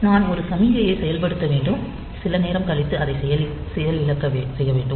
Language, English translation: Tamil, So, I have to I have activated one signal and maybe it has to be deactivated after some time